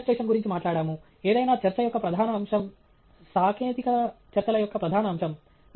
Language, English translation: Telugu, We spoke about illustration a major aspect of any talk; certainly a major aspect of technical talks